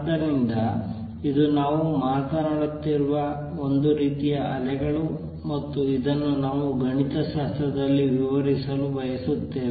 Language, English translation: Kannada, So, this is a kind of waves we are talking about and this is what we want to describe mathematically